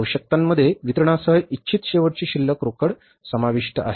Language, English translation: Marathi, Needs include the disbursements plus the desired ending cash balance